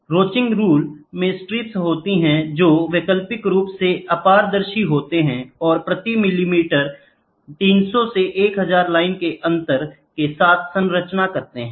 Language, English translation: Hindi, Ronchi rule consists of strips that are alternatively opaque and transmitting with spacing of 300 to 1,000 lines per millimeter, gratings per millimeter